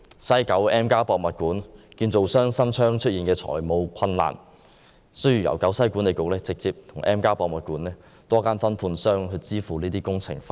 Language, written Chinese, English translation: Cantonese, 西九文化區 M+ 博物館的承建商新昌營造廠有限公司出現財務困難，需要由西九文化區管理局直接向 M+ 博物館的多間分判商支付工程費。, Hsin Chong Construction Company Limited the contractor of M museum in the West Kowloon Cultural District ran into financial difficulties and the West Kowloon Cultural District Authority had to pay directly various subcontractors the construction costs of M